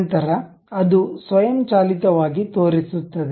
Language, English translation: Kannada, Then it will automatically show